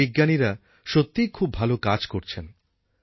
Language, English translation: Bengali, Our scientists are doing some excellent work